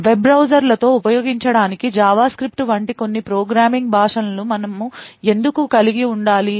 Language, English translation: Telugu, Why do we actually have to have some programming language like JavaScript to be used with web browsers